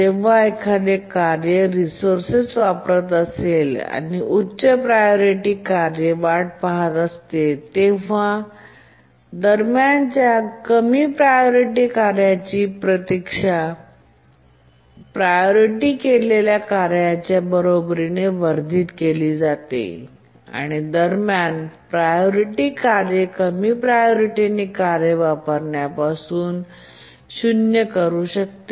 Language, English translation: Marathi, And in the meanwhile, the lower priority tasks, the priority of that is enhanced to be equal to the task that is waiting and intermediate priority tasks they can preempt the low priority task from using it